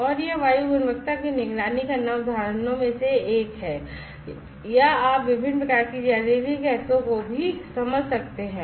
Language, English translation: Hindi, And the idea is to make say air quality monitoring that is one of the examples or you can sense various types of toxic gases as well